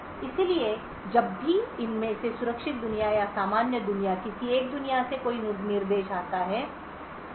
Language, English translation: Hindi, So, whenever there is an instruction from one of these worlds either the secure world or normal world